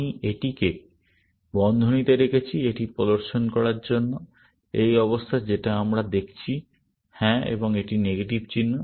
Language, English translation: Bengali, I put this in bracket, just to make it show; this is the condition that we are looking at; yes, and this is the negation sign